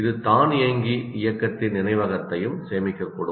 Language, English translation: Tamil, It may also store the memory of automated movement